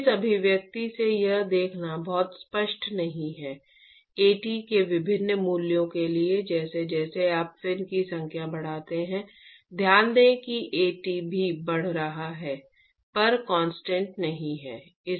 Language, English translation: Hindi, So, it is not very obvious to see from this expression, for various values of At, one has to actually, as you increase the number of fins keep in mind that At is also increasing, At is not constant there